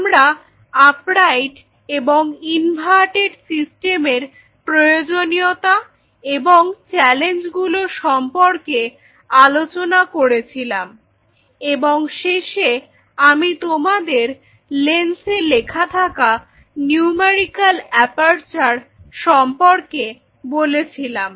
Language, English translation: Bengali, So, we have talked about the challenges of or the need for an upright as well as the inverted system, and there is something in the end I told you about the numerical aperture this is something which will be written on the lens